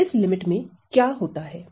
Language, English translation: Hindi, So, what happens in this limit